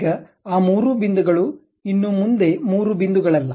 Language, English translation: Kannada, Now, those three points are not anymore three points